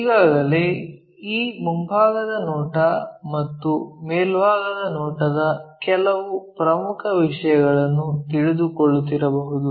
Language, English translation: Kannada, Already, we might be knowing this front view and top few things